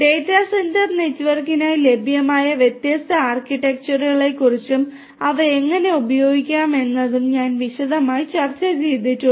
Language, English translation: Malayalam, We have also discussed in detail the different different architectures that are available for data centre network and how you are going to use them